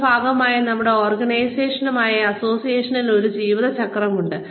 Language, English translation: Malayalam, Our, we our associations with the organizations, that we are a part of, have a life cycle